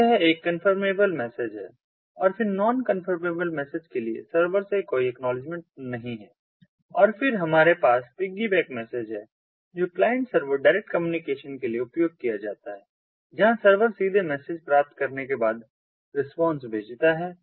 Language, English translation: Hindi, then for non confirmable message, there is no acknowledgement from the server and then we have the piggyback message, which is used for a client server direct communication, where the server sends its response directly after receiving the message